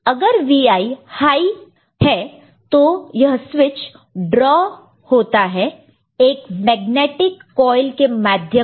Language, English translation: Hindi, If Vi is high, then this switch is drawn may be through a coil, magnetic coil